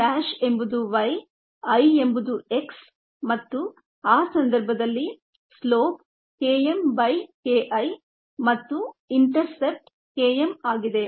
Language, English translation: Kannada, k m dash is y, i is x and the slope in that cases k m by k i and the intercept is k m